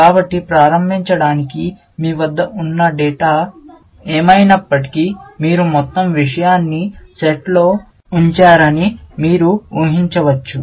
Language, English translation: Telugu, So, to start with, you can imagine that whatever the data that you have, you just put the whole thing into the net